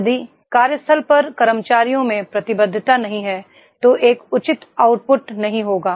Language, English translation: Hindi, If commitment is not there in employees at the workplace there will not be a reasonable output